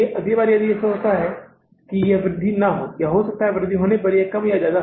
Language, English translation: Hindi, Next time it may be that this increase is not there or maybe if increase is there it can be more or less